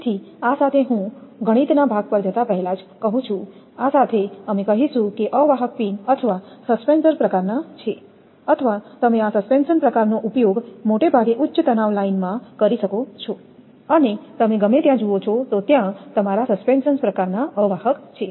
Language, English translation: Gujarati, So, with this just I say before going to mathematics part, with this we would like to tell that insulators are of a pin type or suspensors or what you call this suspension type are mostly used particularly in the high tensile line and anywhere you can see that your suspension type insulators are there